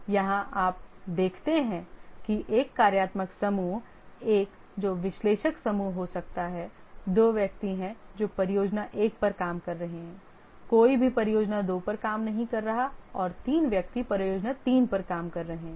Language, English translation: Hindi, Just see here that the functional group one, which may be the analyst group, there are two persons working on project one, no one is working on project two and three working on project three